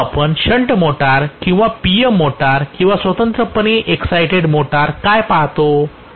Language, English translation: Marathi, But what we see in the shunt motor or PM motor or separately excited motor, Right